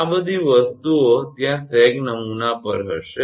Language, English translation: Gujarati, All these things will be there on sag template